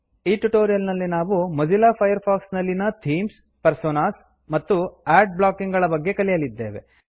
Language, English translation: Kannada, In this tutorial, we will learn about: Themes, Personas, Ad blocking in Mozilla Firefox